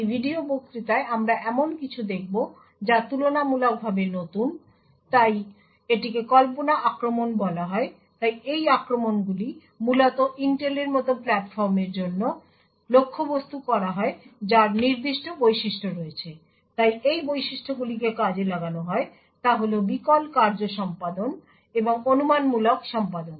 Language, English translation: Bengali, In this video lecture we will look at something which is relatively new, so it is known as speculation attacks so these attacks are essentially targeted for Intel like platforms which have certain features, so the features which are exploited are the out of order execution and the speculative execution